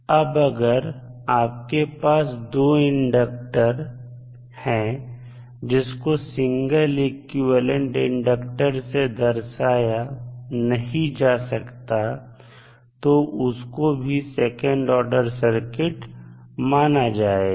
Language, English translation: Hindi, Now, if you have a 2 inductors and you cannot simplify this circuit and represent as a single inductor then also it can be considered as a second order circuit